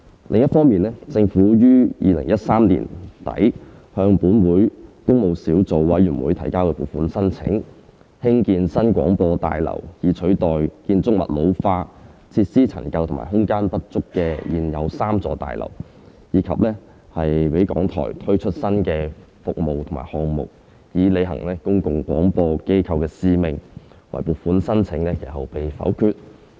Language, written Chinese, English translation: Cantonese, 另一方面，政府於2013年底向本會工務小組委員會提交撥款申請，興建新廣播大樓以取代建築物老化、設施陳舊及空間不足的現有3座大樓，以及讓港台推出新的服務和項目，以履行公共廣播機構的使命，惟撥款申請其後被否決。, On the other hand the Government submitted a funding proposal to the Public Works Subcommittee of this Council at the end of 2013 for the construction of a New Broadcasting House to replace the existing three buildings which were aging had obsolete facilities and had run out of space and for RTHK to implement new services and projects to fulfill its mission as a public service broadcaster but the funding proposal was subsequently negatived